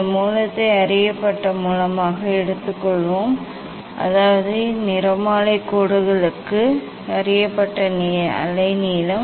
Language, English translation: Tamil, these source, we will take as a known source means known wavelength for the spectral lines